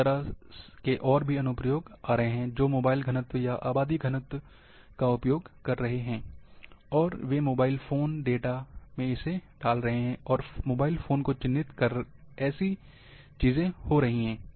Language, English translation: Hindi, Similar applications are coming, which are using the mobile density, or population density, and then putting, like here, they are tracked by the cell phone data, and how things are happening